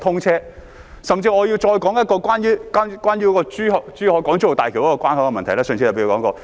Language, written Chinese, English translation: Cantonese, 我甚至要再說一個關於港珠澳大橋的關口問題，上次我也提過。, I would even like to recount a problem with the ports of HZMB which I also mentioned last time